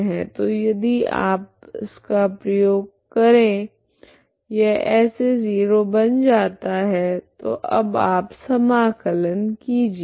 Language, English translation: Hindi, So if you use this this is what it becomes this is 0 so now you integrate this from now